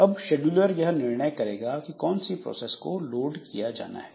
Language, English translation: Hindi, So, now the scheduler will come and it will decide which process to be loaded